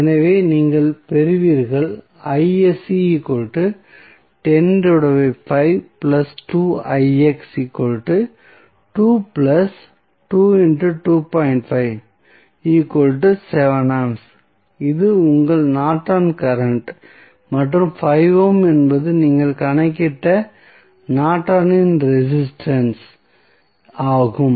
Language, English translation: Tamil, So, now, this 7 ampere is your Norton's current and 5 ohm is the Norton's resistance which you calculated